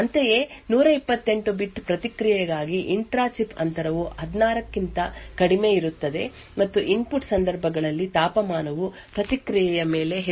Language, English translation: Kannada, Similarly, intra chip distance is less than 16 for a 128 bit response and input cases the temperature does not affect the response much